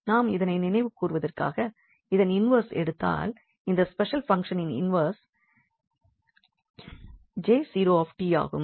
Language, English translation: Tamil, And just to recall that if we take the inverse here, this is the inverse of this special function which we have discuss before J 0 t